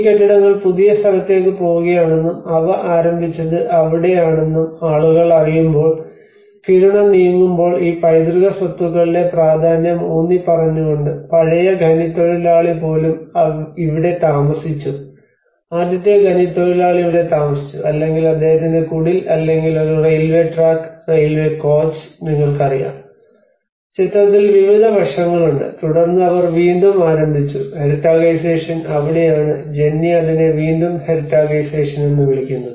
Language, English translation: Malayalam, And when the Kiruna is on move when people know that these buildings are going to move to the new location as well and that is where they started reaffirming these the significance of these heritage properties even the old miner have stayed here the first miner have stayed here or his cottage or a railway track, railway coach you know like that there are various aspects which come into the picture and then they started re heritagisation that is where Jennie calls it as re heritagisation